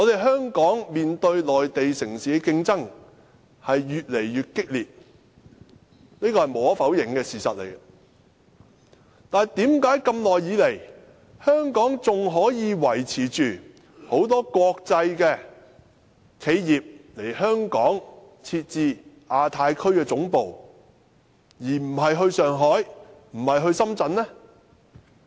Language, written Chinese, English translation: Cantonese, 香港面對內地城市的競爭越來越激烈，這是無可否認的事實，但為何長時間以來，仍然有很多國際企業來港設置亞太區總部，而不是到上海或深圳呢？, In face of the undeniably increasing competition from Mainland cities why does Hong Kong rather than Shanghai or Shenzhen all along remain the chosen city for many international enterprises to locate their Asia - Pacific headquarters?